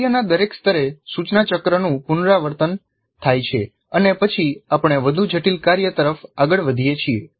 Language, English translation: Gujarati, At each level of the task, the instruction cycle is repeated and then we move to a more complex task